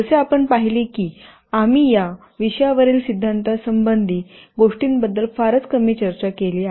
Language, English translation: Marathi, As we have seen we have talked very little about theoretical aspects on the subject